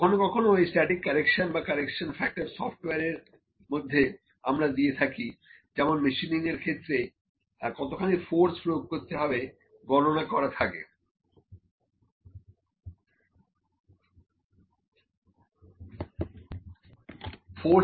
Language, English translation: Bengali, So, sometimes the static correction or the correction, factor is given in the like in the software which I used to calculate the force which is applied during machining